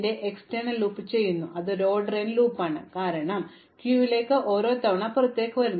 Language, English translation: Malayalam, And then, we do an outer loop of order n, so this is an order n loop, because everything is going to go into the queue once and come out